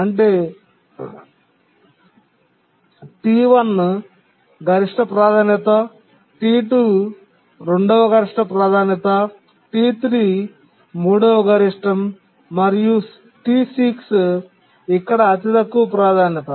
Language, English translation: Telugu, So that is T1 is the maximum priority, T2 is the second maximum, T3 is the third maximum, and T6 is the lowest priority here